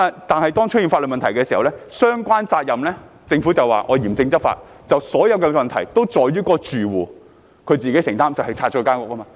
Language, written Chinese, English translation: Cantonese, 但是，當出現法律問題，追究相關責任時，政府便說會嚴正執法，把所有問題歸咎於住戶，要其自行承擔，即是清拆其房屋。, Yet when legal problems arose and accountability was sought the Government would on the pretext of strict law enforcement put the blame for all the problems on the residents and make them bear the responsibility themselves namely by demolition of their homes